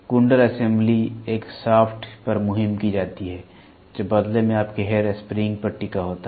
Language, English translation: Hindi, The coil assembly is mounted on a shaft which in turn is hinged on your hair spring